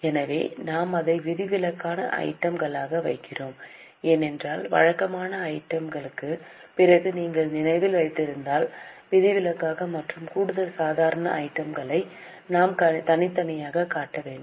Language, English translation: Tamil, So, we are putting it as exceptional items because if you remember after the regular items we have to separately show exceptional and extraordinary items